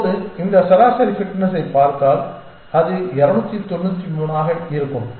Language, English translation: Tamil, Now, if you look at this average fitness for this it happens to be 293